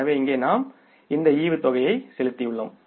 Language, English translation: Tamil, So, here we have paid this dividend